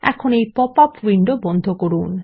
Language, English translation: Bengali, Let us now Close the popup window